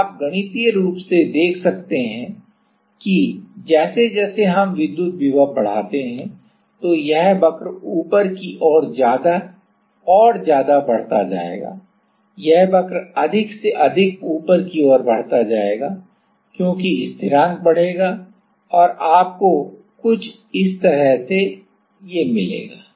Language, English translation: Hindi, So, that you can mathematically see that as we increase the electric potential this curve will move more and more upward, this curve will move more and more upward, because the constant will increase right and you will get something like this